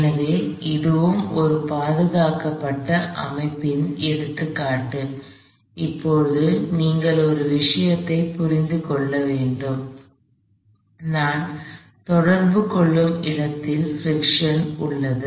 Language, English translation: Tamil, So, this is also an example of a conserved system, now want you to understand one thing I do have friction at the point of contact